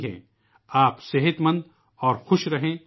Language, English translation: Urdu, May all of you be healthy and happy